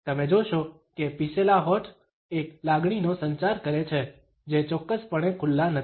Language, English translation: Gujarati, So, you would find that pursed lips communicate a feeling which is definitely not an open one